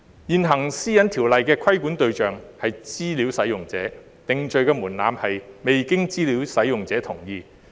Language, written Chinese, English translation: Cantonese, 現行《私隱條例》的規管對象為資料使用者，定罪門檻是"未經資料使用者同意"。, The existing PDPO targets data users and the threshold for conviction is whether the disclosure is without the data users consent